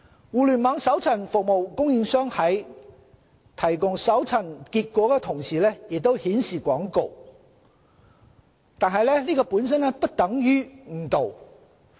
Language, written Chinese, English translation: Cantonese, 互聯網搜尋服務供應商在提供搜尋結果時同時顯示廣告，本身並不等同誤導。, Displaying advertisements alongside search results may not constitute misleading conduct on the part of the service providers of Internet search - engines